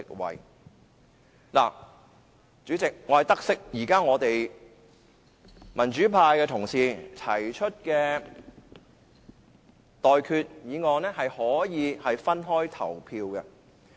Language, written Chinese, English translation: Cantonese, 代理主席，我得悉現時民主派的同事提出的修訂議案可以分開進行表決。, Deputy President I understand that the amending motions proposed by the democrats will be voted separately